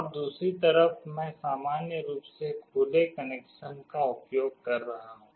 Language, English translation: Hindi, And on the other side I am using the normally open connection